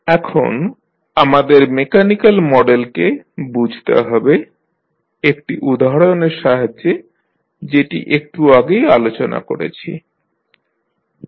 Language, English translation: Bengali, Now, let us understand the model, mechanical model which we just discussed with the help of one example